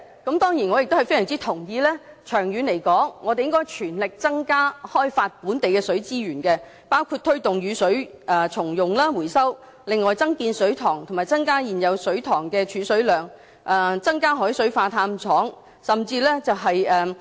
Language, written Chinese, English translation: Cantonese, 我當然亦非常同意，長遠來說應該全力增加開發本地的水資源，包括推動雨水重用、回收、增建水塘及增加現有水塘的儲水量、增加海水化淡廠。, Indeed I agree strongly that in the long run we should step up our efforts to develop local water resources including the promotion of rainwater recycling and reuse addition of reservoirs higher storage capacity of existing reservoirs and more desalination plants